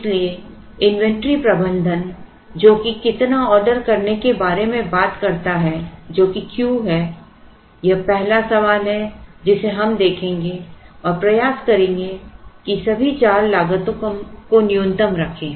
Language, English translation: Hindi, So, the inventory management which talks about how much to order which is Q which is the first question that we will look at we will, now have to try and optimize and keep all the four costs to the minimum